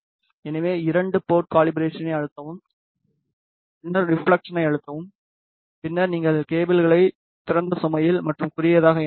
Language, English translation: Tamil, So, press two port calibration, then press reflection, then you should connect the cables with open load and short